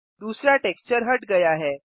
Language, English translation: Hindi, The second texture is removed